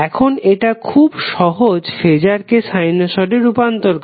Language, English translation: Bengali, Now it is very easier to transfer the phaser into a sinusoid